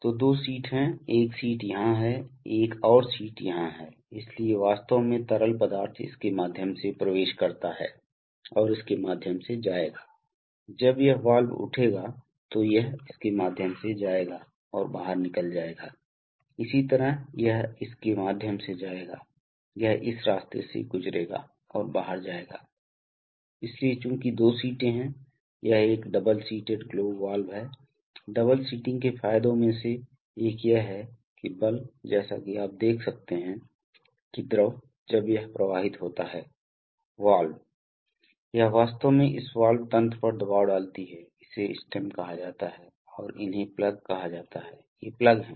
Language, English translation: Hindi, So there are two seats one seat is here, another seat is here, so actually the fluid enters through this and will go through this, when this valve will rise, it will go through this and will flow out, similarly it will go through this, it will go through this path and go out, so since there are two seats, it is a double seated globe valve, one of the advantages of double seating is that the force, as you can see that the fluid, when it flows through the valve it actually exerts a pressure on this valve mechanism this is called the stem and these are called the plugs, these are the plugs